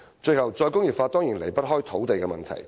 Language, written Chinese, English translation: Cantonese, 最後，"再工業化"當然離不開土地問題。, Lastly re - industrialization is certainly inseparable from land issues